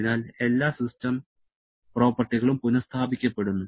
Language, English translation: Malayalam, So, all system properties are restored